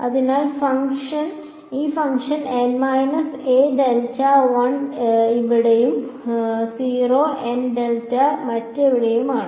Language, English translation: Malayalam, So, this function is 1 over here and 0 elsewhere n 0